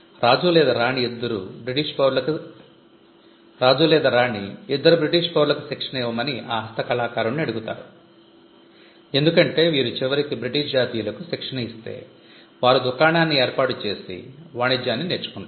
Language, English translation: Telugu, The king or the queen would ask the craftsman to train 2 British nationals, because if you train to British nationals eventually, they will learn the trade they will set up shop